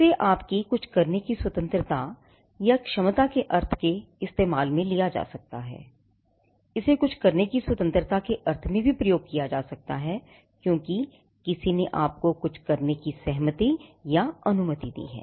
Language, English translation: Hindi, It could be used in the sense of a liberty, your ability or freedom to do something, it could also be used in the sense of a license, your right to do something because somebody has given a consent, or somebody has been allowed to do certain things